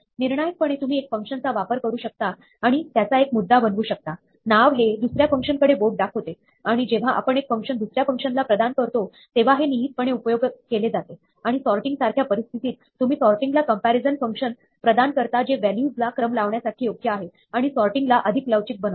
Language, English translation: Marathi, Crucially, you can use one function and make it point, name point to another function, and this is implicitly used when we pass functions to other functions and in situations like sorting, you can make your sorting more flexible by passing your comparison function which is appropriate to the values we will sort